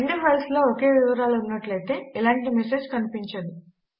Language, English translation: Telugu, If the two files have exactly same content then no message would be shown